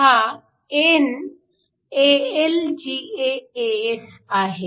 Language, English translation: Marathi, This is n AlGaAs